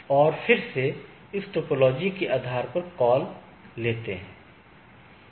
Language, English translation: Hindi, And, then a they take a call based on this topology